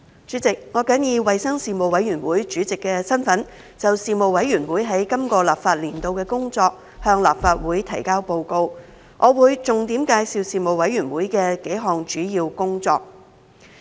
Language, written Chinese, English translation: Cantonese, 主席，我謹以衞生事務委員會主席的身份，就事務委員會在今個立法年度的工作，向立法會提交報告。我會重點介紹事務委員會的數項主要工作。, President in my capacity as Chairman of the Panel on Health Services the Panel I submit to the Legislative Council the work report of the Panel for the current legislative session and will highlight its work in several key areas